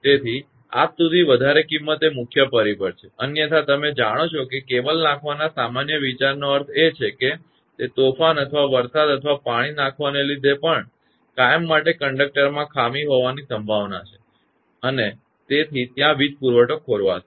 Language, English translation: Gujarati, So, this cost is the main factor till date otherwise the general idea of laying cable means that; as you know that even it during storm or heavy rain or shower that forever in conductor there is a possibility of fault and where there will be the power supply disrupted